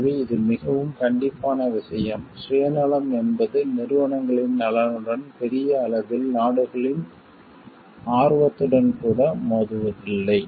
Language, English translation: Tamil, So, it is a very strict this thing so, that the self like interest does not come in clash with the organizations interest, on the even the countries interest at large